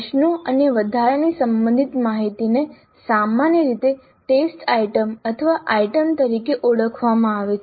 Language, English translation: Gujarati, Questions plus additional related information is generally called as a test item or item